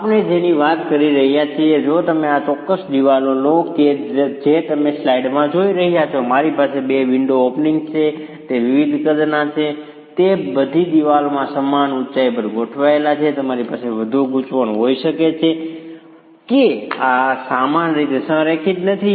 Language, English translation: Gujarati, What we are talking of if you take this particular wall that you are seeing in the slide, I have two window openings there are of different sizes, they are all aligned at the same height in the wall